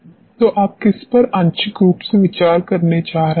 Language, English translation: Hindi, So, which fractionally you are going to consider